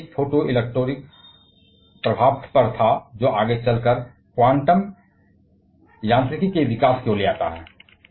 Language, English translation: Hindi, The paper one was on photoelectric effects; which lead to the development of the quantum mechanics later on